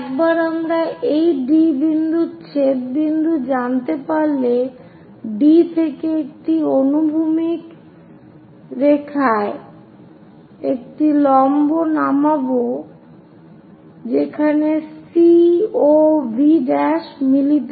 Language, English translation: Bengali, Once we know this D point intersection point drop a perpendicular from D all the way down to a horizontal line where C O V prime meets